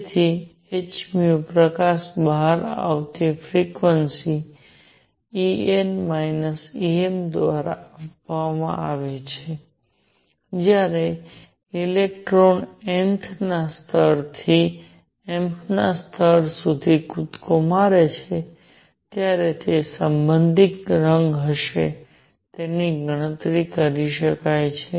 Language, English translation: Gujarati, So, h nu the frequency of light coming out would be given by E n minus E m when a electron makes a jump from the nth level to mth level and that will be the corresponding color can be calculated